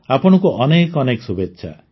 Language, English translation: Odia, Wish you the very best